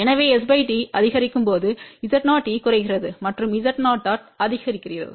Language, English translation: Tamil, So, we can say now at as s by d increases Z o e decreases and Z o o increases